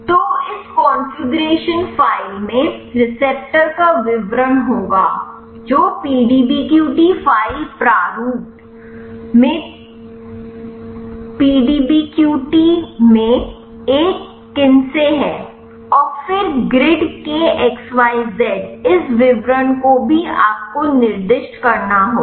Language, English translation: Hindi, So, this configuration file will be having the details of the receptor which is a kinase in the PDBQT in the PDBQT file format, and then the xyz of the grid this detail also you have to specify